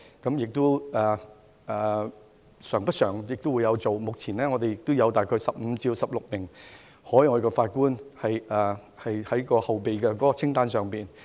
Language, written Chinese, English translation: Cantonese, 這是慣常做法，目前有大概15至16名海外法官在後備名單上。, Under this established practice there are about 15 or 16 overseas judges on the waiting list